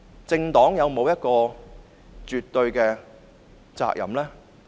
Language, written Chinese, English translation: Cantonese, 政黨有沒有絕對的責任？, Did the political party have absolute responsibility?